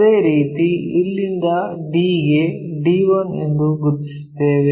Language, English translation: Kannada, In the similar way from there to d, we will locate d 1